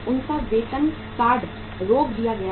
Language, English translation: Hindi, Their salaries card was stopped